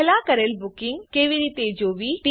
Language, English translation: Gujarati, How to view past booking